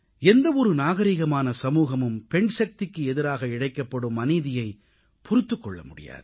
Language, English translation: Tamil, No civil society can tolerate any kind of injustice towards the womanpower of the country